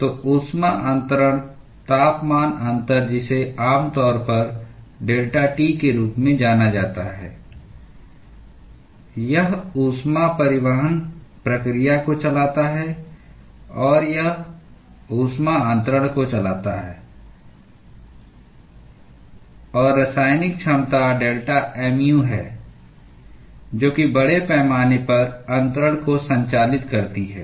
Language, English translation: Hindi, So, heat transfer temperature difference which is generally referred to as delta T it drives the heat transport process or it drives the heat transfer; and the chemical potential which is delta mu, drives the mass transfer